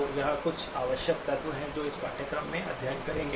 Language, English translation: Hindi, So those are some of the essential elements that we will be studying in the course